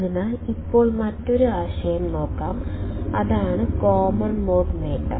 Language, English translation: Malayalam, So, now let us see another concept, which is the common mode gain